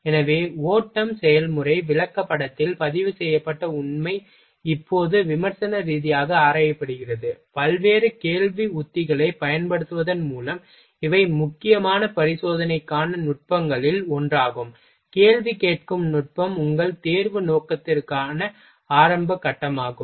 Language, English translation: Tamil, So, the fact recorded in the flow process chart are now examined critically, by applying the various questioning techniques, these are the one of the techniques which is for critical examination ok, questioning technique is very preliminary stage of your examination purpose